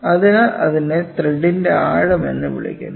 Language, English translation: Malayalam, So, that is called as the depth of the thread